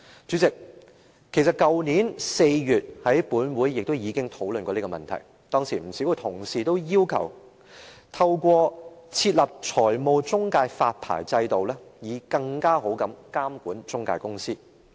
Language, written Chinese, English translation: Cantonese, 主席，去年4月本會也曾討論這問題，當時不少同事均要求透過設立財務中介發牌制度以更好地監管中介公司。, President in April last year this Council discussed the issue . At that time many Honourable colleagues requested that a licencing regime for financial intermediaries be established to better monitor intermediary companies